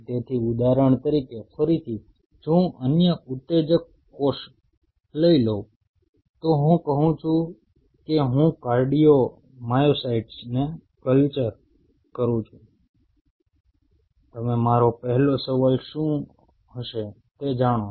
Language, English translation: Gujarati, So, for example, again if I take another excitable cell I say I am culturing cardiomyocytes, you know what will be my first question are the beating